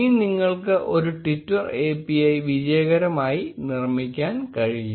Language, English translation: Malayalam, Now you are good to go, and you will able to create a twitter API successfully